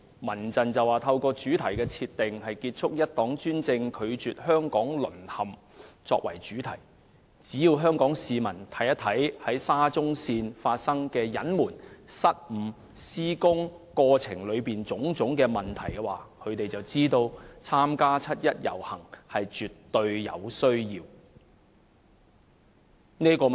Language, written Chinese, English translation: Cantonese, 民陣把今年七一遊行的主題設定為"結束一黨專政，拒絕香港淪陷"，香港市民只要看看沙中線工程所涉及的隱瞞、失誤，以及施工過程中的種種問題，便知道絕對有需要參加七一遊行。, The theme set by the Civil Human Rights Front for this years 1 July march is End one - party dictatorship; Reject the fall of Hong Kong . If Hong Kong people would just look at the concealment of facts and the blunders relating to the SCL construction works as well as the various irregularities in the construction process they would realize that it is absolutely necessary for them to participate in the 1 July march